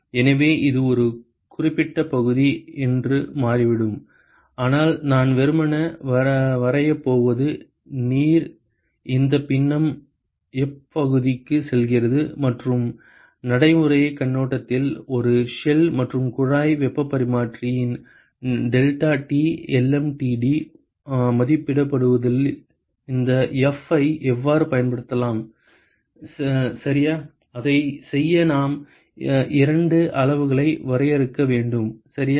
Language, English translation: Tamil, So, it turns out that it is a certain fraction of that, but what I am going to simply sketch is water going to what is this fraction F and from practical point of view, how can you use this F in estimating the deltaT lmtd for a shell and tube heat exchanger ok, so in order to do that we need to define two quantities ok